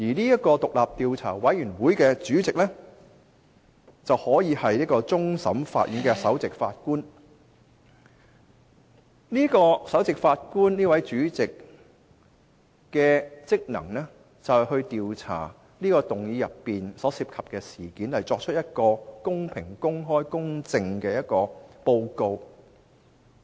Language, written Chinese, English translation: Cantonese, 有關獨立調查委員會的主席可由終審法院首席法官出任，負責調查議案所涉及的事宜，以擬定公平、公開、公正的報告。, The Chief Justice of the Court of Final Appeal may be appointed as the chairman of the independent investigation committee which is responsible for investigating all related matters with a view to compiling a fair transparent and just report